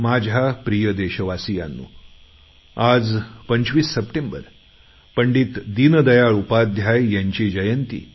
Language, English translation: Marathi, My dear countrymen, today is 25th September, the birth anniversary of Pandit Deen Dayal Upadhyay Ji and his birth centenary year commences from today